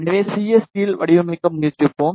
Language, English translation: Tamil, So, let us try to design in CST